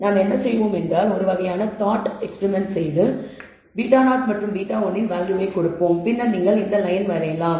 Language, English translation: Tamil, So, what we will do is we will do a kind of a thought experiment you give values of beta 0 and beta 1 and then you can draw this line